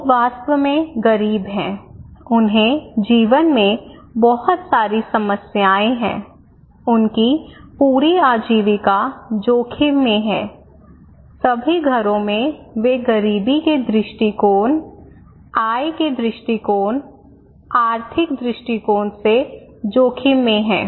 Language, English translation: Hindi, Another one is the existing poverty; people are really poor, they have so many problems in life, their entire livelihood is at risk, all households they are at risk from the poverty perspective, income perspective, economic perspective